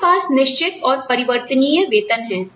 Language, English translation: Hindi, We have fixed and variable pay